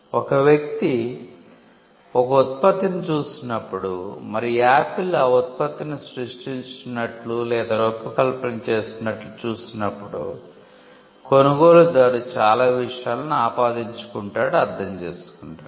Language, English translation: Telugu, When a person looks at a product and sees that Apple has created or designed that product then, the buyer would attribute so many things because, it has come from that entity